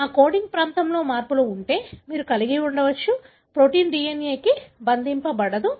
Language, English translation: Telugu, If there are changes in that coding region, so you may have, a protein will not be binding to the DNA